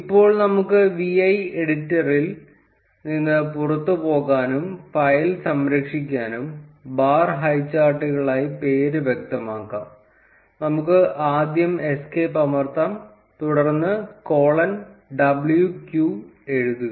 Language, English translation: Malayalam, And we can specify the name as bar highcharts, now to quit the vi editor and save the file; let us first press escape and then write colon w q